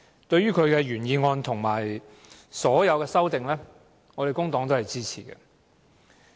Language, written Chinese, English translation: Cantonese, 對於其原議案及所有修正案，工黨均會支持。, The Labour Party supports both the original motion and all the amendments to it